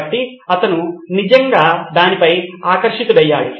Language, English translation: Telugu, So he was really enamoured by it